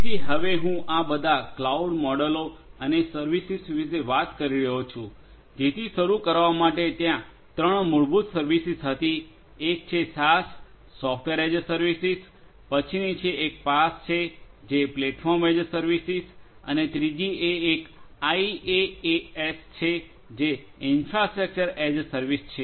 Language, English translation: Gujarati, So, now I was talking about all these different cloud models and the services, so there are to start with there were three fundamental services one is the SaaS Software as a Service, the next one is PaaS which is Platform as a Service, and the third one is IaaS which is the Infrastructure as a Service